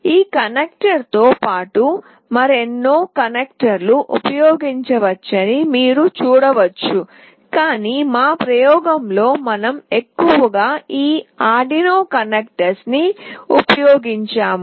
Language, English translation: Telugu, You can see that apart from these connectors there are many other connectors that can be used, but in our experiment we have mostly used these Arduino connectors